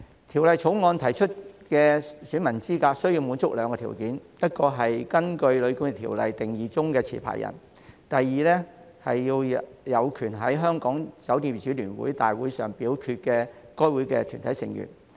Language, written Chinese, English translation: Cantonese, 《條例草案》提出的選民資格須滿足兩個條件：第一，是根據《旅館業條例》定義中的持牌人；第二，是有權在香港酒店業主聯會的大會上表決的該會的團體成員。, It is proposed in the Bill that electors must fulfil two conditions to be eligible first they are licence holders as defined by the Hotel and Guesthouse Accommodation Ordinance; second they are corporate members of the Federation of Hong Kong Hotel Owners Limited FHKHO entitled to vote at general meetings of the company